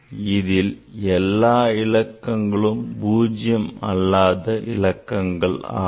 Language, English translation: Tamil, So, in this number, so all are non digit, a non zero number